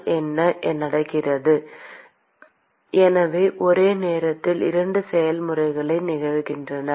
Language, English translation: Tamil, , so what happens so, there are two processes which are occurring simultaneously